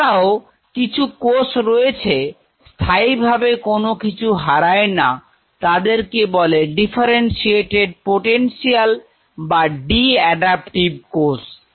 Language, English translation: Bengali, And yet there are certain cells which does not lose it permanently that differentiated potential their de adaptive cells